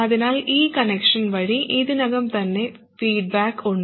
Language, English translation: Malayalam, So there is already feedback just by this connection